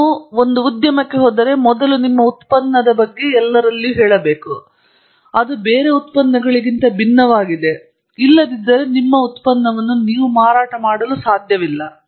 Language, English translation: Kannada, If you go to the industry, you have to first tell everybody what your product is and how it’s different from everybody else's, otherwise you cannot sell your product